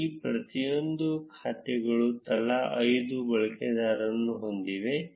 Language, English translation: Kannada, Each of these set of accounts have five users each